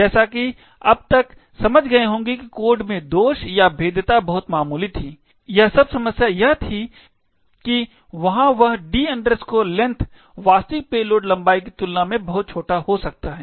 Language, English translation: Hindi, As, you would understand by now the flaw or the vulnerability in the code was very minor, all that was the problem was that there was that the D length could be much smaller than the actual payload length